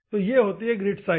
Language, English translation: Hindi, The second one is the grit size